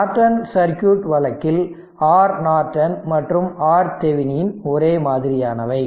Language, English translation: Tamil, In the Norton circuit case R Norton and R Thevenin